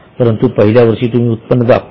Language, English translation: Marathi, But in year one you have recorded all the revenue